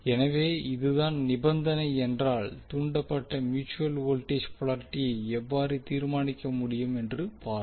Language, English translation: Tamil, So we will see how if this is the condition how we can determine the induced mutual voltage polarity